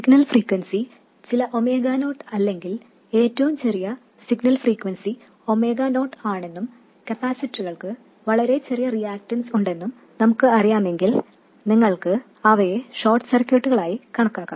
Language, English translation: Malayalam, If we know that the signal frequency is some omega not or the smallest signal frequency is omega not and if the capacitors happen to have a very small reactance, then you can treat them as short circuits